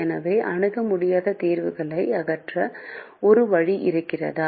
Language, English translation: Tamil, so is there a way to eliminate infeasible solutions